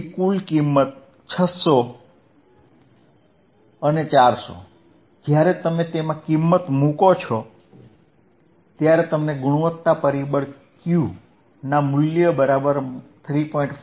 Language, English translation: Gujarati, So, total is, we have the value 600, 400; when you substitute, we get the value of Quality factor Q equals to minus 3